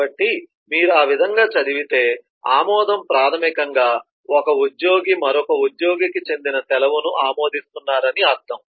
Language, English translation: Telugu, so if you read it that way, then the approval basically means an employee is approving a leave which belongs to yet another employee